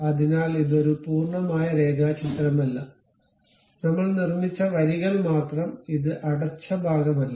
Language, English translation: Malayalam, So, it is not a complete sketch, only lines I have constructed, not a closed one